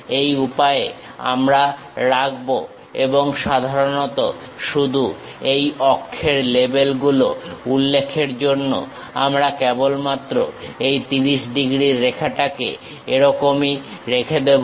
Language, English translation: Bengali, This is the way we keep and typically just to mention this axis labels, we are just leaving this 30 degrees lines as it is